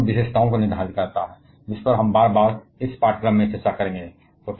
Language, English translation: Hindi, It determines the nuclear characteristics; which we shall be repeatedly discussing in this course